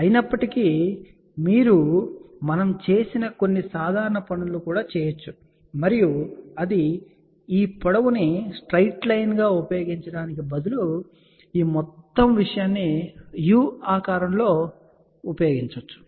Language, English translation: Telugu, However, you can do a few simple things also which we have also done, and that is instead of using this length as a straight line, you also use this whole thing in the form of a u shape ok